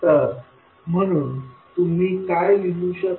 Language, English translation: Marathi, So, what you can write